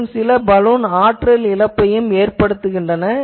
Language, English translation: Tamil, And also any Balun will produce some power loss which is undesired